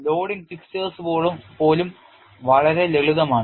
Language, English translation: Malayalam, Even the loading fixtures are much simpler